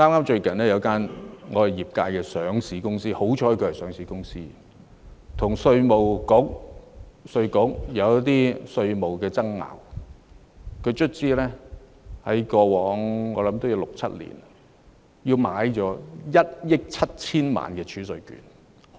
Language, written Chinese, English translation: Cantonese, 最近業界有間上市公司——幸好它是上市公司——跟稅務局出現一些稅務爭議，最終在過去六七年購買了1億 7,000 萬元儲稅券。, Recently a listed company in my sector―thankfully it is a listed company―had some tax disputes with IRD . Eventually it has purchased 170 million worth of TRCs over the past six or seven years